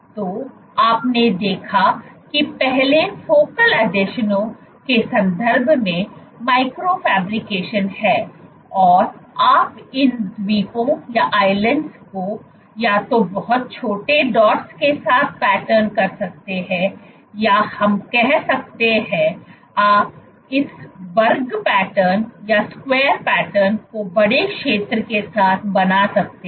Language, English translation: Hindi, So, you have seen what is micro fabrication earlier in the context of focal adhesions you can pattern these islands either with very small dots or you can have let us say, you can make this square pattern with bigger area